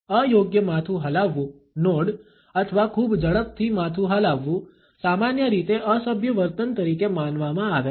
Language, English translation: Gujarati, An inappropriate head nodding or too rapid a head nodding is perceived normally as a rude behavior